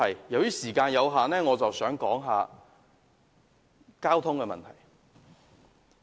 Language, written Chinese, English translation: Cantonese, 由於時間有限，我要談一談交通問題。, Owing to time constraint I wish to talk about the issue about traffic now